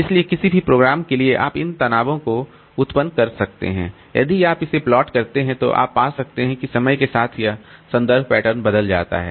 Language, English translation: Hindi, So, for any program you can generate this trace and if you plot it, you can find that this referencing pattern over the time changes